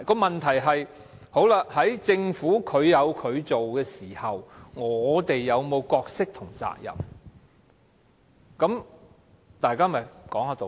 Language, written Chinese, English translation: Cantonese, 問題是，在政府調查的時候，立法會有否任何角色及責任？, The question is does the Legislative Council have any role and responsibility in the course of the Governments investigation?